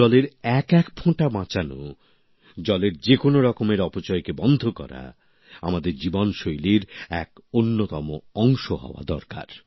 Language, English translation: Bengali, Saving every drop of water, preventing any kind of wastage of water… it should become a natural part of our lifestyle